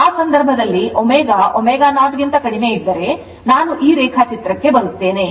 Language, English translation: Kannada, So, in that case if omega less than omega 0, let me come to this diagram